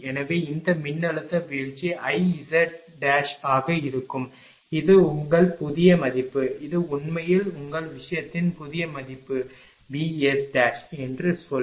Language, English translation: Tamil, So, and this voltage drop will be I z dash and this is your new value this this is actually new value of your this thing say say V S dash right